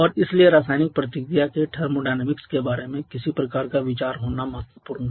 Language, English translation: Hindi, And hence it is important to have some kind of idea about the thermodynamics of chemical reaction